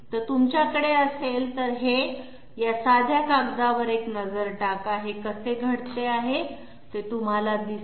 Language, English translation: Marathi, So if you have this, have a look at this plain paper, you will find how this is occurring